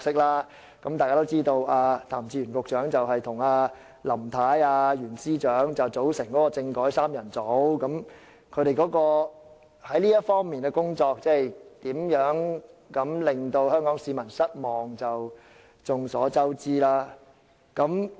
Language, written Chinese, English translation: Cantonese, 一如大家所知，譚志源局長與"林太"及袁司長組成"政改三人組"，他們在這方面的工作是如何令香港市民失望，已是眾所周知。, As we all know Secretary Raymond TAM Mrs LAM and Secretary for Justice Rimsky YUEN were members of the constitutional reform trio . We all know how greatly they disappointed the people of Hong Kong in their assigned task